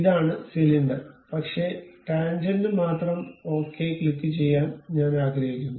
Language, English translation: Malayalam, This is the cylinder, but tangent only I would like to have click ok